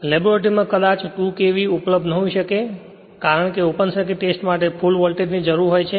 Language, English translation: Gujarati, In the laboratory that 2 KV may not be available right that is because for open circuit test you need full voltage